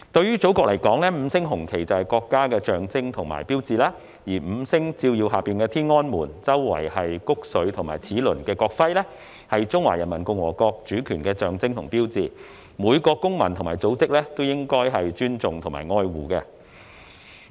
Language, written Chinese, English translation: Cantonese, 對祖國而言，五星紅旗就是國家的象徵和標誌；而在五星照耀下、以穀穗和齒輪環繞天安門的國徽，象徵和標誌中華人民共和國的主權，是每個公民和組織也應當尊重和愛護的。, For our Motherland the five - starred red flag is its symbol and hallmark; the national emblem featuring Tiananmen Gate beneath the five shining stars encircled by ears of grain and a cogwheel symbolizes and signifies the sovereignty of the Peoples Republic of China PRC which every citizen and organization should respect and cherish